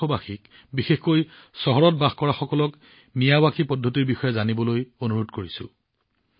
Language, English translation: Assamese, I would urge the countrymen, especially those living in cities, to make an effort to learn about the Miyawaki method